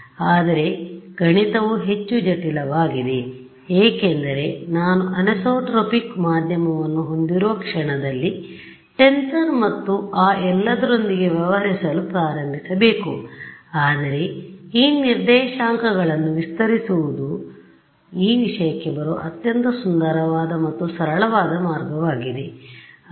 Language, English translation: Kannada, But the math becomes more complicated because the moment I have anisotropic medium then I have to start dealing with tensors and all of that right, but this coordinates stretching is a very beautiful and simple way of arriving at this thing ok